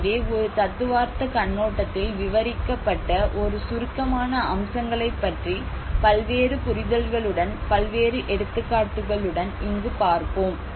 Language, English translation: Tamil, So I am going to describe about a brief aspects which described from a theoretical perspective along with various understanding of what I have understood about that project with various examples